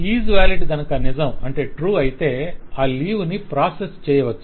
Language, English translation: Telugu, So if Is Valid is true, then that leave can be processed